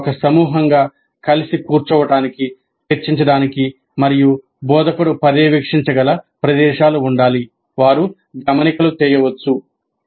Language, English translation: Telugu, There must be places where they can sit together as a group discussed and the instructor must be able to monitor they can make notes